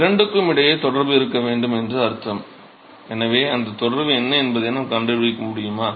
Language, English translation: Tamil, So, which means that there must be relationship between the two; so, can we find out what that relationship is